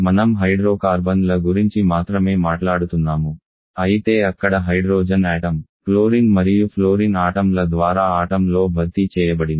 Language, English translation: Telugu, We are talking about hydrocarbons only but there the hydrogen atom has been replaced in a molecules by chlorine and fluorine atoms